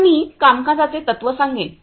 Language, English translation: Marathi, Now, I will explain the working principle